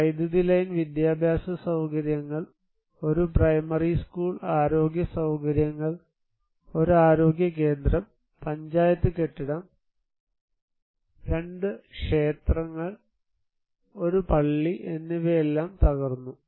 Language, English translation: Malayalam, The electricity line, educational facilities, one primary school, health facilities, one health centre, Panchayat building and two temples and one mosque were all destroyed